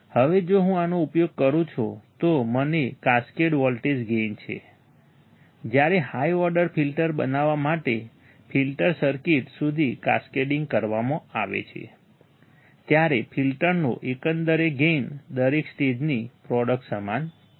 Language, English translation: Gujarati, Now, if I use this is an example, I have a cascaded voltage gain, when cascading to a filter circuits to form high order filters, the overall gain of the filter is equal to product of each stage